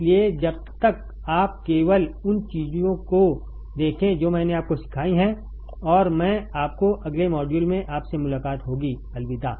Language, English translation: Hindi, So, till then you just look at the things that I have taught you, and I will see you in the next module take care, bye